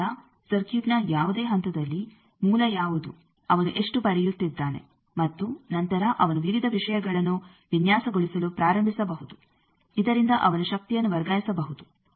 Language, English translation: Kannada, So, that he can knows what is the source at any point of the circuit how much he is getting, and then he can start designing various things, that this he can transfer the power